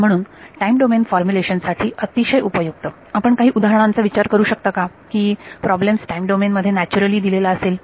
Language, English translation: Marathi, So, very useful for time domain formulations, can you think of some examples where you might where the problem is naturally post in the time domain